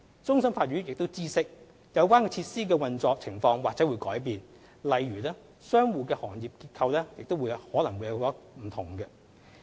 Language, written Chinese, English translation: Cantonese, 終審法院亦知悉，有關設施的運作情況或會改變，例如商戶的行業結構可能會有所不同。, CFA was also aware of the fact that there might be changes in the operation of the relevant facilities such as the tenant trade mix might be different